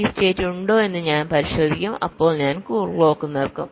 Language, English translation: Malayalam, if this state is there, then i will stop the clock